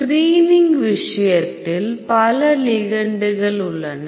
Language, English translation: Tamil, In the case of screening because several ligands